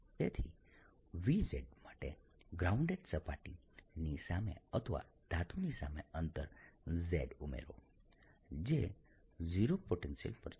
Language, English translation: Gujarati, so v, z, add a distance, z, in front of a grounded surface or in front of a metal which has, at which is at zero potential